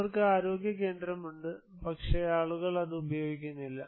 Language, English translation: Malayalam, They have health center but, people are not using that